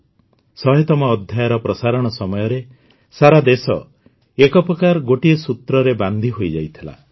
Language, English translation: Odia, During the broadcast of the 100th episode, in a way the whole country was bound by a single thread